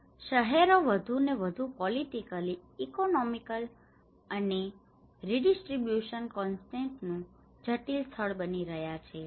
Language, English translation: Gujarati, (Video Start Time: 24:37) Cities are increasingly becoming complex site of political economic and redistribution contestations